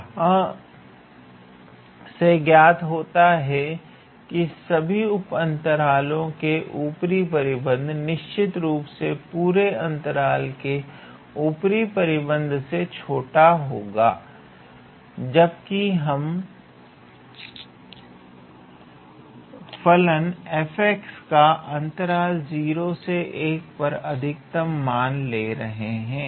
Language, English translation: Hindi, Now, upper bound on all of these subintervals will certainly be less than upper bound on the whole interval because, when we talk about the upper bound, we are taking the maximum value possible for the function f x on that interval 0 comma 1